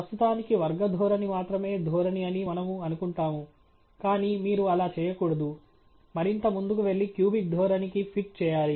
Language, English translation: Telugu, For now, we shall assume that the quadratic trend is the only trend, but you should not do that, go further and fit a cubic trend